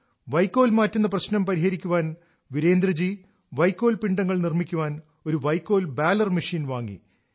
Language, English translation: Malayalam, To find a solution to stubble, Virendra ji bought a Straw Baler machine to make bundles of straw